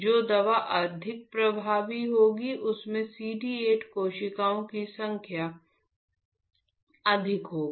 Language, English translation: Hindi, The drug which is more effective will have more number of CD 8 cells